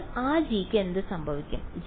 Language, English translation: Malayalam, So, what will happened to that g